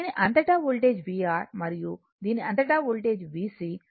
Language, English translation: Telugu, Voltage across this one is v R, and voltage across this one is V C right